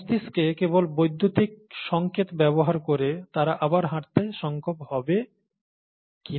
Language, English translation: Bengali, Just by using the brain, just by using the electrical signals in the brain, whether they’ll be able to walk again